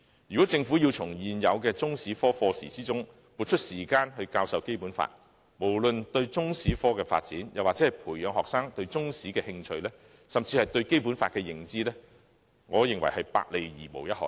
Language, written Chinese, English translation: Cantonese, 如果政府要從現有的中史科課時撥出時間教授《基本法》，無論對中史科的發展，或培養學生對中史的興趣，甚至學生對《基本法》的認知，我認為均是"百害而無一利"的。, Should the Government insist that time must be shared with the Chinese History subject for the teaching of the Basic Law I think it will bring nothing but harm to the development of the Chinese History subject nurturing of students interest in the subject and what is more their knowledge of the Basic Law